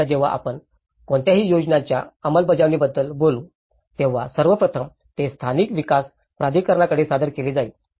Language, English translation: Marathi, Now, when we talk about any plan implementation, first of all, it will be submitted to the local development authority